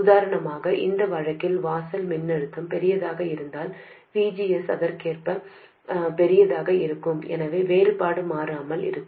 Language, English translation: Tamil, For instance in this case if the threshold voltage is larger, VGS would be correspondingly larger, so this difference remains constant